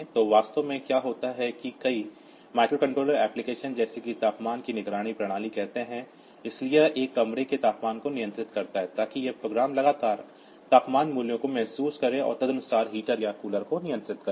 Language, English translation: Hindi, So, embedded systems like say a temperature monitoring system, so it controls the temperature of a room, so that program it will continually sense the temperature values and accordingly control the heater or the cooler